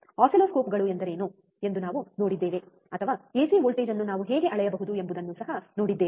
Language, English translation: Kannada, Then we have seen what is oscilloscopes, or we have also seen how we can measure the ac voltage, right